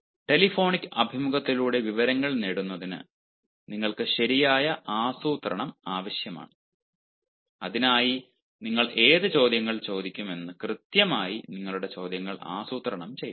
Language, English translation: Malayalam, so in order to elicit information through telephonic interview, you require proper planning, and for that you have to meticulously plan your questions as to which questions you will ask